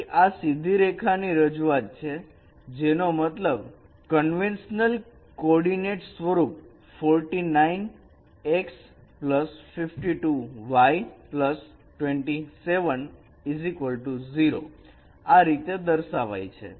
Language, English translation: Gujarati, So that is a representation of the straight line which means the straight line in our conventional coordinate form should be represented as 49 minus 49 x plus 52y plus 27 equals 0